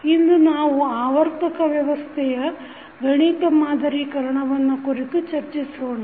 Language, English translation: Kannada, Today we will discuss about the mathematical modelling of rotational system